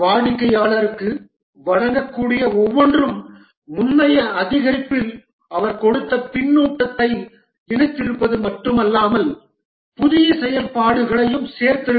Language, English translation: Tamil, Each deliverable to the customer would not only have incorporated the feedback that he had given in the previous increment, but also added new functionalities